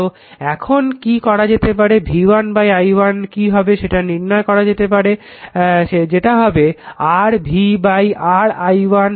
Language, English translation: Bengali, So, what you can do it you try to find out what will be v upon i1 what will be your v upon your i1 right